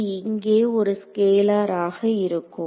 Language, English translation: Tamil, So, it is going to be a scalar over here